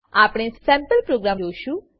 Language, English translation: Gujarati, We will look at sample program